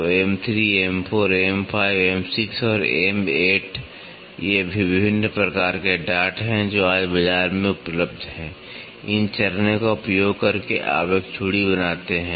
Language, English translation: Hindi, So, M 3, M 4, M 5, M 6 and M 8, these are various types of taps which are available in the market today, by using these steps you create a thread